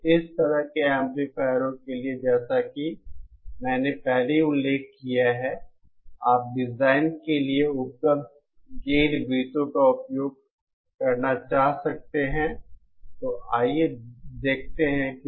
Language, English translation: Hindi, So for such type of amplifiers, as I already mentioned before, you might want to use available gain circles for design